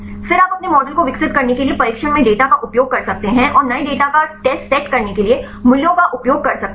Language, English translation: Hindi, Then you can use the data in the training to develop your model and you can use the values to test the new data